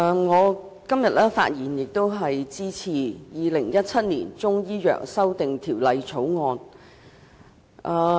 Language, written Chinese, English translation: Cantonese, 主席，我發言支持《2017年中醫藥條例草案》。, President I rise to speak in support of the Chinese Medicine Amendment Bill 2017 the Bill